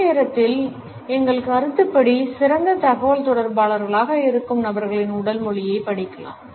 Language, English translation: Tamil, At the same time, we can study the body language of those people who in our opinion are better communicators